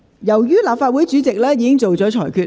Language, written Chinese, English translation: Cantonese, 由於立法會主席已作出裁決......, Since the President of the Legislative Council has made his ruling